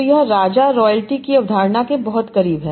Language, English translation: Hindi, So, this king is very close to the concept of royalty